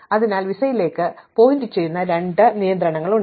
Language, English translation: Malayalam, So, there are two constraints pointing to visa